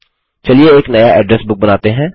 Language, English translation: Hindi, Lets create a new Address Book